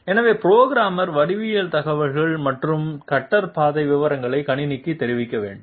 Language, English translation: Tamil, So the programmer will have to intimate geometry information and cutter path details to the computer